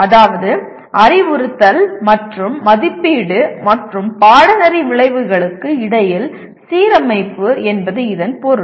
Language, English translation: Tamil, That means alignment between instruction and assessment and course outcomes that is what it means